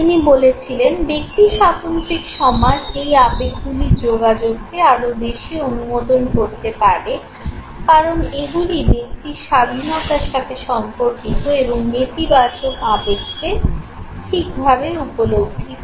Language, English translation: Bengali, Who says that individualistic societies, may sanction the communication of these emotions more, as they relate to individual freedom to express and perceive negative emotions okay